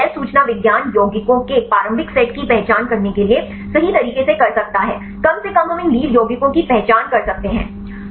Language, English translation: Hindi, So, bioinformatics can do right to identify the initial set of compounds at least right we can identify these lead compounds